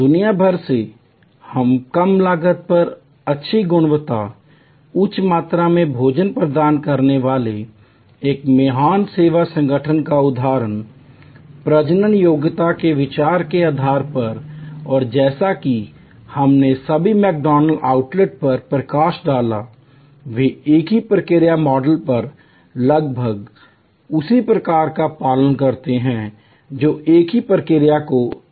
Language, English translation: Hindi, Example of a great service organization providing good quality, high volume meals at low cost across the world, based on the idea of reproducibility and as we highlighted that all McDonalds outlets, they operate almost on the same process model following the same process steps replicated at all outlets, whether in USA or Calcutta